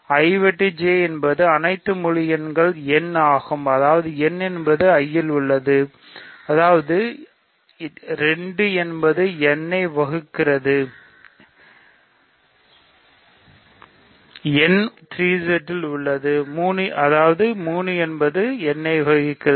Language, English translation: Tamil, So, I intersection J is all integers n such that n is in I that means, 2 divides n; n is in 3Z, so 3 divides n